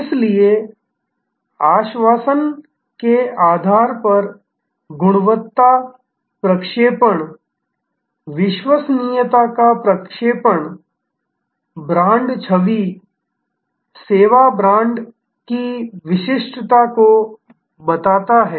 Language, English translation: Hindi, So, that quality projection based on assurance, projection of reliability creates this uniqueness of the brand image, service brand